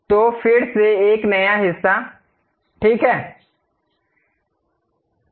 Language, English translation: Hindi, So, again new part, ok